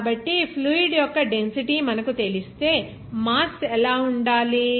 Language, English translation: Telugu, So, if you know the density of the fluid, what should be the mass